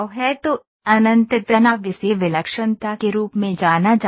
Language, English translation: Hindi, So, infinite stress this is known as singularity